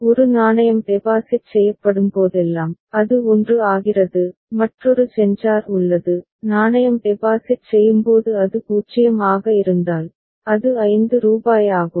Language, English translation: Tamil, Whenever a coin is deposited, it becomes 1 and there is another sensor, if it is 0 when coin is deposited, it is rupees 5 that has been deposited